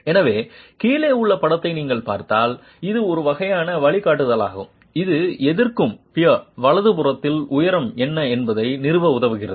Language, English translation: Tamil, So if you look at the sketch below, this is a sort of a guideline that helps us establish what is the height of the resisting peer